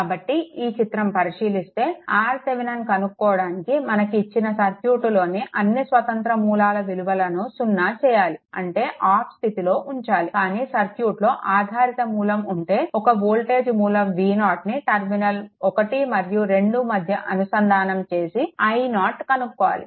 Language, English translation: Telugu, So; that means whenever you have this circuit; suppose this circuit you have all the independent sources are set equal to 0 is turned off, but here you have a dependent source right, in that case you can connect a voltage source V 0 across 1 and 2 and find out your i 0